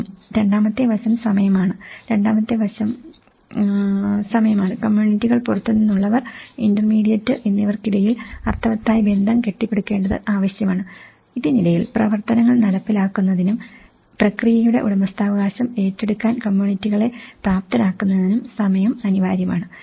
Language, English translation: Malayalam, Time; the second aspect is time, it is needed to build meaningful relationships between communities, outsiders and the intermediate; the in between, to implement activities and to enable communities to take ownership of the process